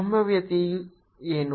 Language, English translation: Kannada, what is the potential